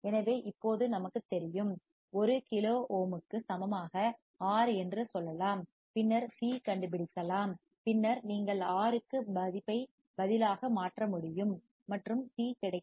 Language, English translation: Tamil, So, now since we know fc equals to 1 upon 2PIRC we can say let us R equal to 1 kilo ohm right and then c we can find then you can substitute to R and C is available